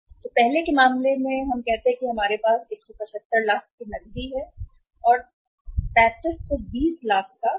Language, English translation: Hindi, So in case of the first say this part we have the cash is 175 lakhs and receivables are uh 3520 lakhs